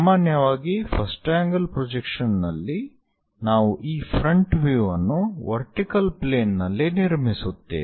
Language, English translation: Kannada, Usually in first angle projection we construct this front view on the vertical plane